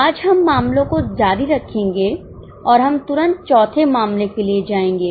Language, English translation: Hindi, Today we will continue with the cases and we'll go for the fourth case right away